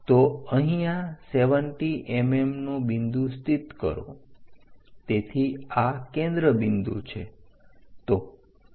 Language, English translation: Gujarati, So, locate 70 mm point here so this is the focus point